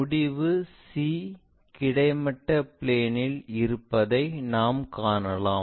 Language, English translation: Tamil, We can see end C is in horizontal plane